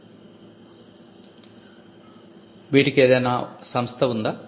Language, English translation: Telugu, Student: Is there some institute